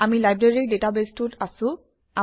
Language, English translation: Assamese, We are in the Library database